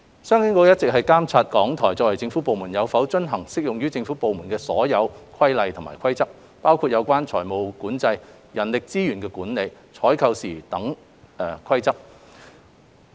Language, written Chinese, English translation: Cantonese, 商經局一直監察港台作為政府部門，有否遵行適用於政府部門的所有規例和規則，包括有關財務管理、人力資源管理、採購等事宜的規則。, CEDB has been overseeing whether RTHK as a government department complies with all applicable government rules and regulations including those on financial control human resources management and procurement matters